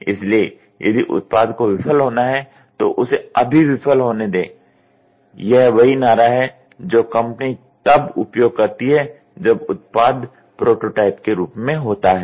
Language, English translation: Hindi, So, if the product has to fail let it fail now, that is the slogan which is company uses it when it is in the prototype